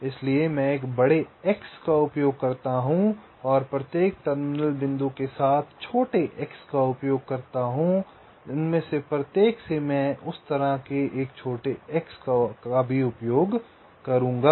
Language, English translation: Hindi, so i use a big x and with each of the terminal points i use smaller xs from each of them i will be using even smaller xs like that